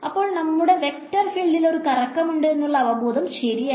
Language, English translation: Malayalam, So, our intuition is correct that this vector field has a swirl about it